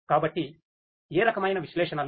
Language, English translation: Telugu, So, what type of analytics